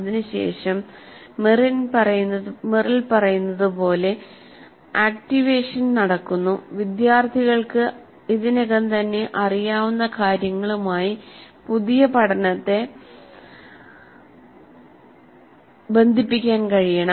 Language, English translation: Malayalam, Then it is followed by the activation which as Merrill says the students must be able to link the new learning to something they already know